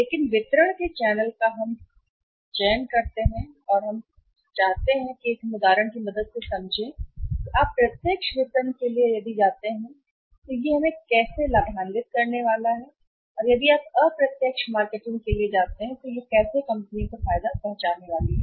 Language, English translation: Hindi, But channel of distribution we should select and we should say ok with that let us understand with the help of an example that if you go for the direct marketing and if you go for the indirect marketing what is going to benefit company